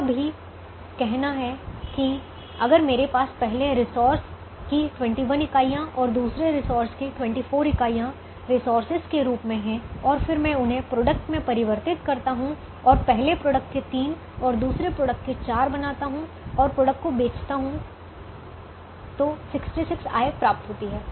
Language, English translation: Hindi, it is also to say that if i have twenty one units of the first resource and twenty four units of the second resource as resources and then i transform them into products and make three of the first product and four of the second product and sell the products to realize a revenue of sixty six